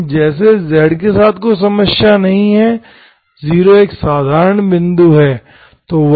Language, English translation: Hindi, But 0 as such, there is no issue with 0, z is 0 is an ordinary point